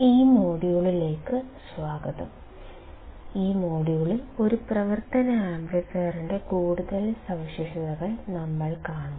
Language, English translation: Malayalam, Welcome to this module and in this module, we will see some more characteristics of an operational amplifier